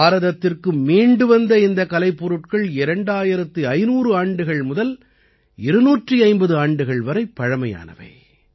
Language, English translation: Tamil, These artefacts returned to India are 2500 to 250 years old